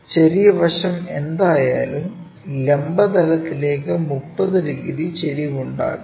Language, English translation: Malayalam, The small side is always making 30 degrees with the vertical plane